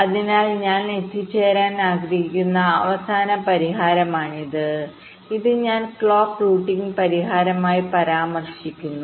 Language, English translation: Malayalam, so this is the final solution i want to, i want to arrive at, and this i refer to as the clock routing solution